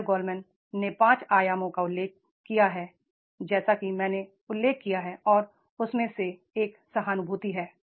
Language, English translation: Hindi, Daniel Goldman has mentioned the five dimensions as I mentioned and one of them is that is the empathy is there